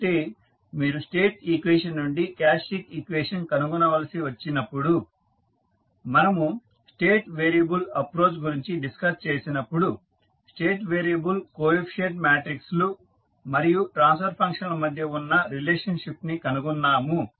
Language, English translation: Telugu, So, when you, we were discussing about the State variable approach we found that the relationship between State variable coefficient matrices and the transfer function is as follows